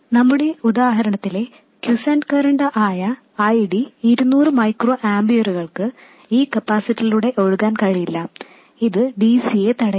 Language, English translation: Malayalam, This quiescent current here, ID of 200 microamperors in our example, cannot flow through this capacitor, this blocks DC